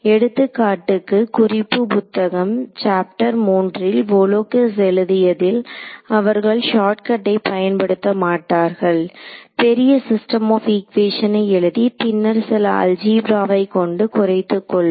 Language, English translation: Tamil, And the reference book for example, which is chapter 3 of this book by Volakis, they do not do the shortcut they go through get a larger system of equations then do some algebra to reduce it further